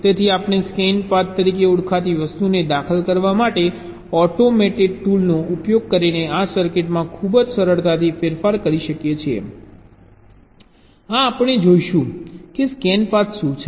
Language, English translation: Gujarati, so we can modify this circuit using an automated tool very easily to insert something called as scan path